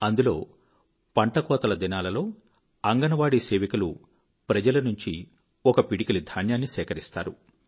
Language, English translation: Telugu, In this novel scheme, during the harvest period, Anganwadi workers collect a handful of rice grain from the people